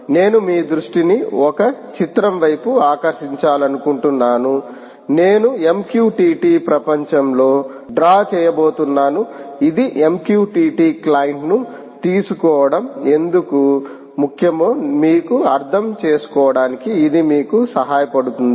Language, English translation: Telugu, i want to draw your attention to a picture which i am going to draw in the mqtt world which will allow you, which will give you, an understanding of why this is important